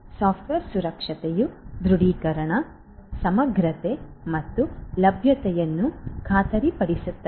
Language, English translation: Kannada, Software security involves ensuring authentication, integrity and availability